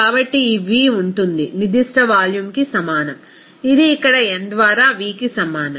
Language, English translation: Telugu, So, this v will be is equal to a specific volume, it will be is equal to V by n here